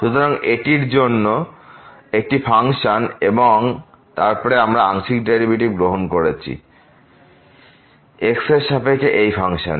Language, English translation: Bengali, So, this is another function and then we are taking partial derivative with respect to of this function